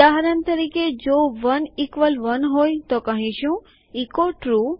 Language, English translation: Gujarati, For example, if 1 equals 1 we say echo True